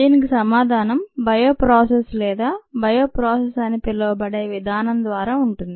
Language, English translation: Telugu, the answer is through something called a bioprocess